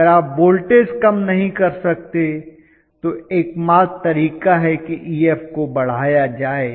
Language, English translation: Hindi, If you cannot have lower voltage only way is to increase Ef